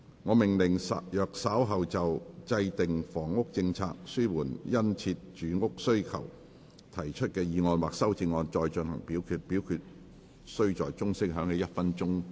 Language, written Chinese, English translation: Cantonese, 我命令若稍後就"制訂房屋政策紓緩殷切住屋需求"所提出的議案或修正案再進行點名表決，表決須在鐘聲響起1分鐘後進行。, I order that in the event of further divisions being claimed in respect of the motion on Formulating a housing policy to alleviate the keen housing demand or any amendments thereto this Council do proceed to each of such divisions immediately after the division bell has been rung for one minute